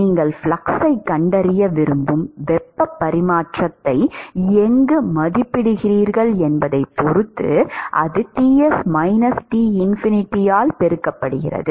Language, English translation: Tamil, It depends on where you evaluate the heat transfer where you want to find the flux and that multiplied by Ts minus Tinfinity